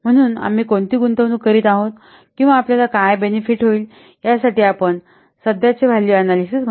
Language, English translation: Marathi, So, we must carry out present value analysis for the what investment that we are making or the benefit that will get